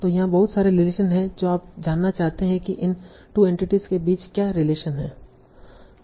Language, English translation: Hindi, You want to find out what is the relation between these two entities